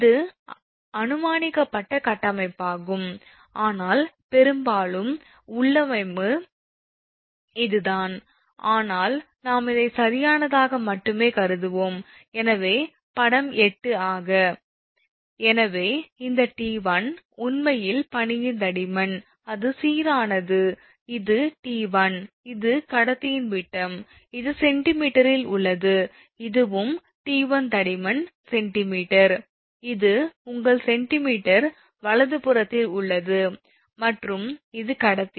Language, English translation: Tamil, So, we assume that this t 1, actually thickness of the ice, it is uniform, this is t 1, this is t 1 and this is the diameter of the conductor, and this is in the centimeter, this is also t 1 thickness is centimeter this is also in your centimeter right and this is the conductor